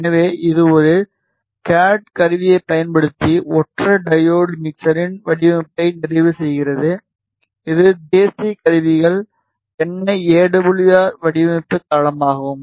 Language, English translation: Tamil, So, this completes are design of a single diode mixer using a CAD tool which is national instruments NI AWR design platform